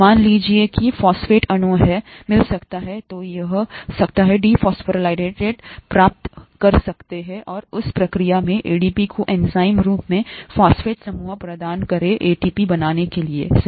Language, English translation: Hindi, Let’s say a phosphate molecule, can get, can get dephosphorylated and in that process, provide the phosphate group to ADP enzymatically to create ATP, right